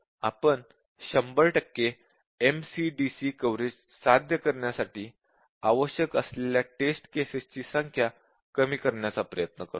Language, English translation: Marathi, And at the same time, we will try to hold down the number of test cases require to achieve 100 percent MCDC coverage